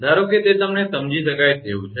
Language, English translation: Gujarati, Suppose it is understandable to you